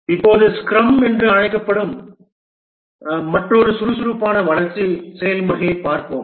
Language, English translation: Tamil, Now let's look at another agile development process which is called a scrum